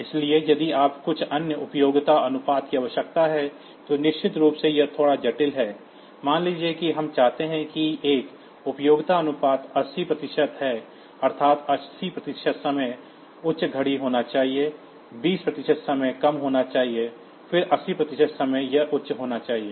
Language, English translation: Hindi, So, if you need some other duty cycle then of course, it is slightly complex because then so, suppose we want say a duty cycle of say 80 percent that is, 80 percent time the clock should be high, 20 percent time it should be low then again 80 percent time it should be high